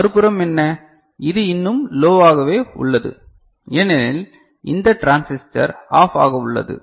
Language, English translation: Tamil, What about the other side this one, it is still at low because this transistor is at OFF